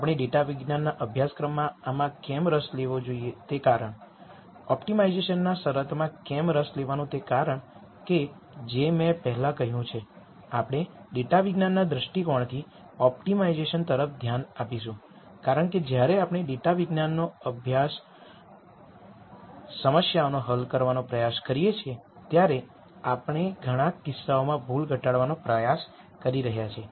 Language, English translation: Gujarati, The reason why we should be interested in this in a course on data science; the reason why we are interested in constraints in optimization is as I mentioned before, we look at optimization from a data science viewpoint because we are trying to minimize error in many cases, when we try to solve data science problems